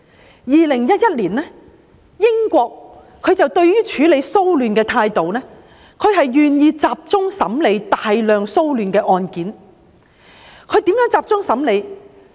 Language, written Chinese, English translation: Cantonese, 在2011年，英國處理騷亂的態度，是願意集中審理大量的騷亂案件，如何集中審理呢？, In 2011 the United Kingdom adopted the approach of focusing its efforts in dealing with a large number of disturbance cases; and how was that done?